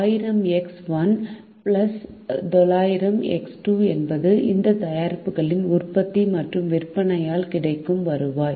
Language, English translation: Tamil, thousand x one plus nine hundred x two is the revenue that is generated by the production and sale of these products